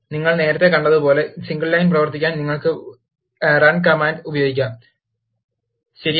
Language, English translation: Malayalam, As you have seen earlier, you can use run command, to run the single line, right